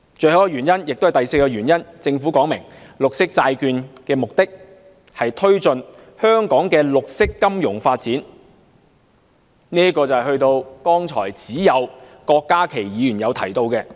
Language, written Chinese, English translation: Cantonese, 最後一個原因，也是第四個原因，就是政府說明綠色債券的目的是推進香港的綠色金融發展，這與剛才只有郭家麒議員提到的一點相呼應。, The fourth and final reason is the purpose of promoting the development of green finance in Hong Kong by green bonds as stated by the Government which echoes the point raised only by Dr KWOK Ka - ki earlier